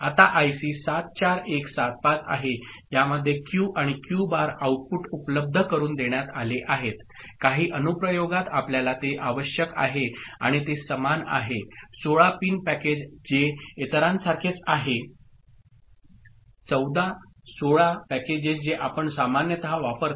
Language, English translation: Marathi, Now, there is IC 74175 in which both Q and Q bar outputs are made available say, in some application you require it – ok, and it is same 16 pin package which is similar to others 14, 16 packages that you are normally used ok